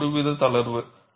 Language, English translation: Tamil, Some sort of a relaxation